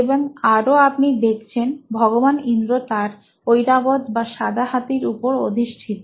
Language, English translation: Bengali, And what you also see is, Lord Indra riding on his “Airavat” or white elephant